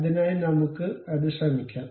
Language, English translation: Malayalam, So, let us try that